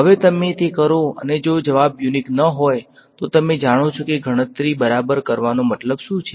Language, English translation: Gujarati, Now you do it and if the answer is not going to be unique, you know what is the point of doing the calculation right